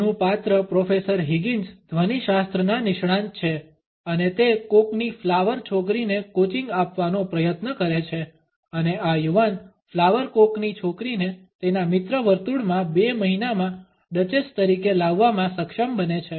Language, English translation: Gujarati, Shaw’s character Professor Higgins is an expert of phonetics and he tries to coach a cockney flower girl and is able to pass on this young flower cockney girl as a duchess within a couple of months in his friend circle